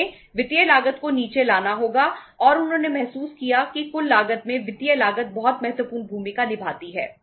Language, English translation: Hindi, They have to bring the financial cost down and they realized that in the total cost financial cost plays very very important role